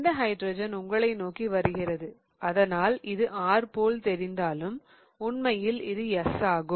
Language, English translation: Tamil, So, this looks like S but the hydrogen is coming towards you so this is R